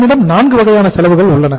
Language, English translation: Tamil, So we have the 4 kind of the cost